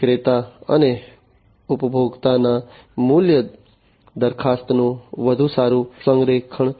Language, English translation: Gujarati, Better alignment of the value proposition of the vendor and the consumer